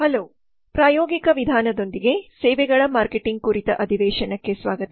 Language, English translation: Kannada, hello there welcome to the session on services marketing with the practical approach